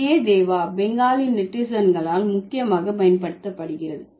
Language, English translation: Tamil, So Tagie Deva is mainly used by the Bengali netizens